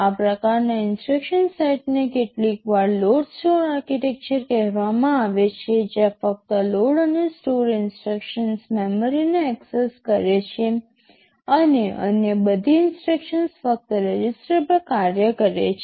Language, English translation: Gujarati, Thisese kind of instruction set is sometimes called load store architecture, that where only load and store instructions access memory and all other instructions they work only on the registers right